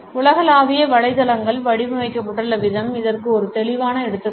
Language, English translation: Tamil, A clear example of it is the way the global websites are designed